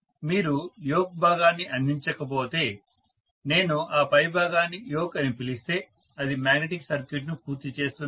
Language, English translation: Telugu, If you don’t provide the yoke portion, if I may call that top portion as the yoke, that is what completes the magnetic circuit